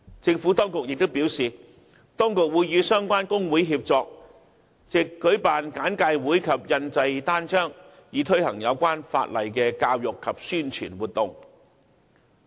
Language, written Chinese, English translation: Cantonese, 政府當局亦表示，當局會與相關工會協作，藉舉辦簡介會及印製單張，推行有關法例的教育及宣傳活動。, The Administration advised that it would collaborate with relevant workers unions to launch educational and promotional activities related to the relevant law such as briefings and publication of leaflets